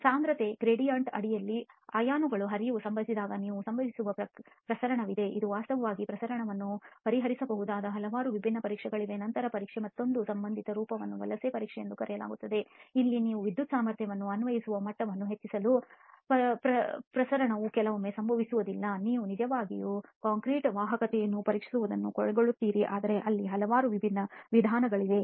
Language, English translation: Kannada, You have diffusion which can happen when the flow of ions happens under concentration gradient and there are several different tests that can actually address diffusion and then another associated form of this test is called the migration test where you apply an electrical potential to presumably increase the level of diffusion sometimes that does not happen, you actually end up testing the conductivity of the concrete but there are several different methods there too